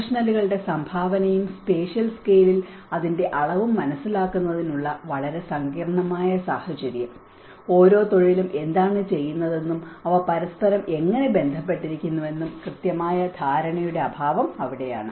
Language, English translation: Malayalam, So that is where a very complex situation of understanding the professionals contribution and its scale on the spatial scale, a lack of precise understanding of what each profession does and how they relate to one another